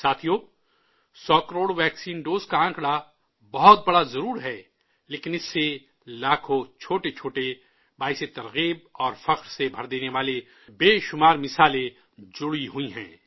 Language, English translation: Urdu, the figure of 100 crore vaccine doses might surely be enormous, but there are lakhs of tiny inspirational and prideevoking experiences, numerous examples that are associated with it